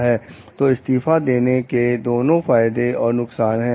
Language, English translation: Hindi, So, it has both pros resigning has both the pros and cons